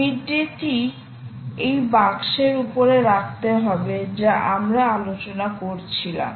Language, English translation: Bengali, so take this midday and put it on top of this box that we were discussing